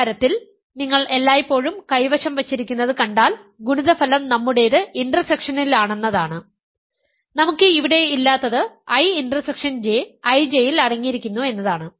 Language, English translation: Malayalam, In the solution if you see what always holds is that the product is in the intersection that we have, what we do not have here is I intersection J is contained in I J